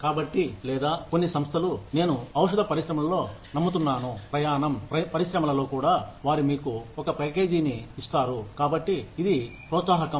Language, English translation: Telugu, So, or, some organizations, I believe in the pharmaceutical industry, and even in the travel industry, they will give you a package